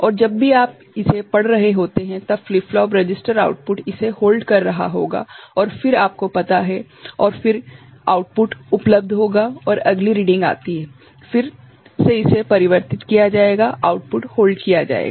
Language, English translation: Hindi, And, whenever you are reading it, then the flip flop register output will be holding it and then you know, truthfully and then the output will be available; and next reading comes, again it will be getting converted, the output will be held